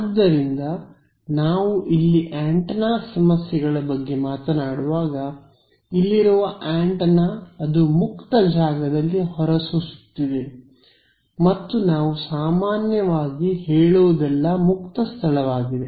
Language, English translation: Kannada, So, when we are talking about antenna problems here, the antenna sitting over here it is radiating out in free space and this is usually free space that we are talking about